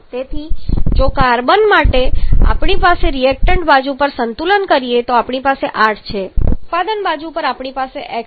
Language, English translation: Gujarati, So, for carbon if you balance on the reactant side we have 8 on the product side we have x so accordingly we are having x equal to 8